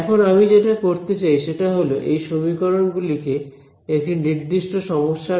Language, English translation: Bengali, Now, what I would like to do is study this use these equations in this particular problem ok